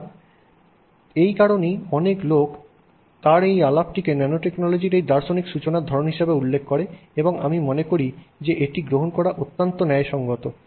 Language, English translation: Bengali, So that's the reason why we have so many people referring to his talk as the sort of this, you know, philosophical start of nanotechnology, and I think that is an extremely justified position to take